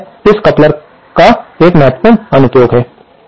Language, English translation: Hindi, So, this is 1 important application of a coupler